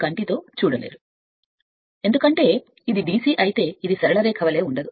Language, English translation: Telugu, Because it is DC but it is not exactly as a straight line